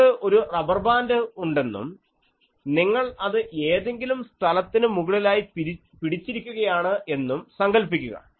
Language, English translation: Malayalam, Consider that you have a rubber band and you are holding it above some place